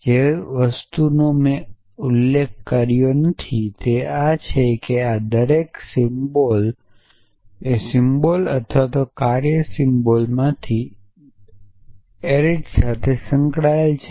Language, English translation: Gujarati, which I have not at mentioned is that each of these predicate symbols or each of these function symbols has associated with an arity essentially